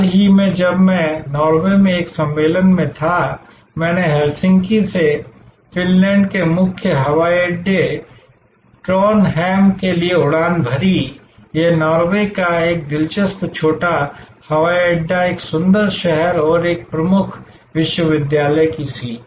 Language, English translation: Hindi, Recently, when I was there at a conference in Norway, I flew from Helsinki the main airport of Finland to Trondheim, this, a main an interesting small airport of Norway, a beautiful city and the seat of a major university there